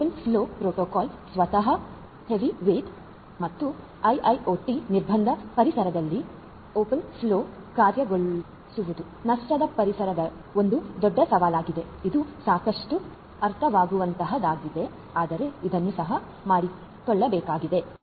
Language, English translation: Kannada, Open flow protocol itself is heavyweight and implementing open flow as such in IIoT constraint environments lossy environments is a huge challenge which is quite understandable, but it has to be done as well